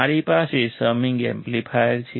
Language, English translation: Gujarati, I have a summing amplifier